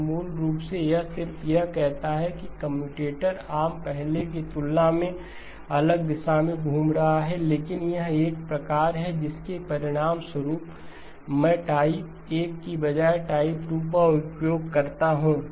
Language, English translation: Hindi, So basically it just says that the commutator arm is rotating in the different direction compared to previously, but this is a form that results when I use type 2 instead of type 1 okay